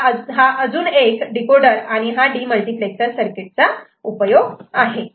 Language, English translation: Marathi, So, this is one usefulness of, another usefulness of decoder demultiplexer circuit